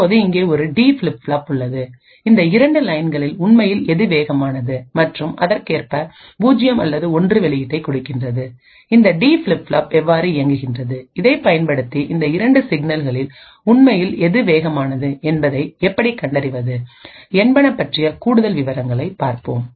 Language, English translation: Tamil, So we also now have a D flip flop over here which measures which of these 2 lines is in fact faster and correspondingly gives output of either 0 or 1, so let us look in more details about how this D flip flop actually is able to identify which of these 2 signals is indeed faster